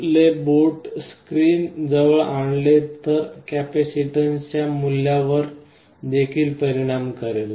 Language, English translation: Marathi, So, if you bring your finger that will also affect the value of the capacitance